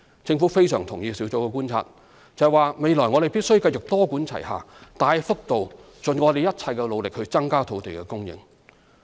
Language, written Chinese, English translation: Cantonese, 政府非常贊同小組的觀察，就是未來我們必須繼續多管齊下，大幅度盡一切努力增加土地供應。, The Government strongly endorses the observation of the Task Force that we must continue to adopt a multi - pronged approach to boost land supply considerably with an all - out effort in the future